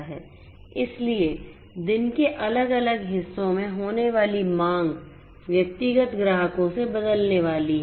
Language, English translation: Hindi, So, the demands consequently in different parts of the day are going to change from the individual customers